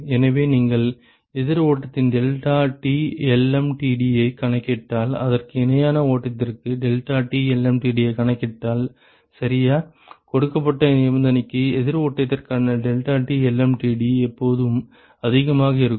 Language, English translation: Tamil, So, the rationale is if you calculate the deltaT lmtd of counter flow and, if you calculate the deltaT lmtd for a parallel flow ok, it always turns out that for a given condition the delta T lm t d for counter flow is always greater than the deltaT lmtd for parallel flow with same condition